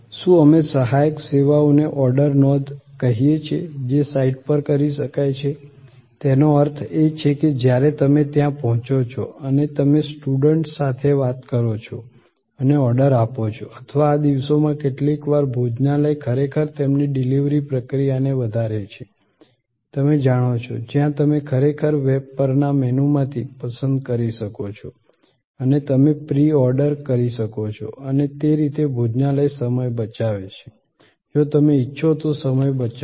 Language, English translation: Gujarati, What, we call a supporting services is order entry, which can be done on site, that means, when you reach there and you talk to a steward and place an order or these days sometimes restaurants are actually enhancing their, you know delivery process, where you can actually select from a menu on the web and you can pre order and that way, the restaurant saves time, you save time, if it is so desired